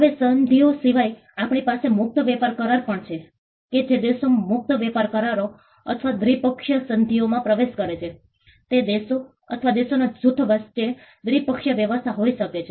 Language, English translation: Gujarati, Now, apart from the treaties, we also have free trade agreements which countries enter into free trade agreements or bilateral investment treaties, can be bilateral arrangement between countries or a group of countries